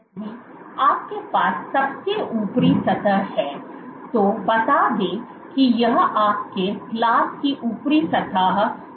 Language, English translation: Hindi, If you have the top surface let say this is your glass coverslip top surface